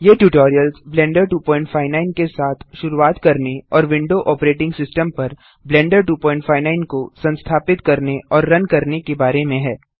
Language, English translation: Hindi, These tutorial is about getting blender 2.59 and how to install and run Blender 2.59 on the Windows Operating System